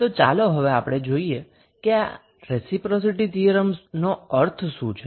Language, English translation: Gujarati, So, let us start with the reciprocity theorem